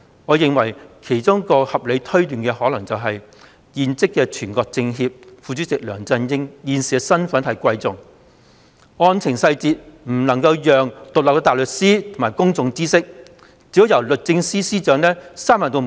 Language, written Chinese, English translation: Cantonese, 我認為，其中一項合理推斷，是現任全國政協副主席梁振英現時身份尊貴，因此案件細節不能讓獨立的大律師或公眾知悉，只可由律政司司長閉門作決定。, In my view a reasonable inference is that all is because of LEUNGs eminent status as incumbent Vice - Chairman of the CPPCC National Committee so the case details must not be disclosed to independent counsel or the public and the Secretary for Justice alone should make the decision behind closed doors